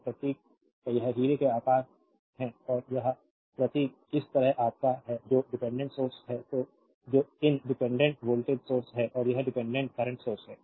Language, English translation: Hindi, So, symbol is this is diamond shape and this symbol is your like this that is the dependent sources these dependent voltage source and this is dependent current source